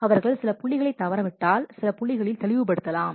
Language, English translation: Tamil, If they have missed some of the points then clarification might be short over certain points